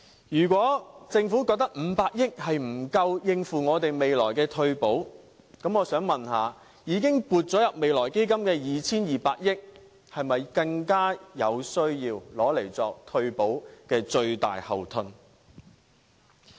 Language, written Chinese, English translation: Cantonese, 如果政府覺得500億元不足以應付未來的退保，我想問，已經撥入未來基金的 2,200 億元是否更有需要用作退保的最大後盾？, If the Government believes that 50 billion is insufficient for implementing retirement protection in the future I would then wonder whether it is even more necessary for the Government to spend the 220 billion earmarked in the Future Fund on backing up retirement protection?